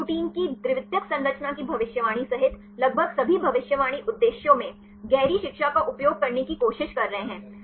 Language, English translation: Hindi, They are trying to use deep learning in almost all prediction purposes including protein secondary structure prediction